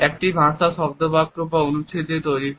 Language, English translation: Bengali, A language is made up of words, sentences and paragraphs